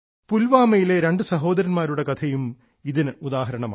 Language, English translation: Malayalam, The story of two brothers from Pulwama is also an example of this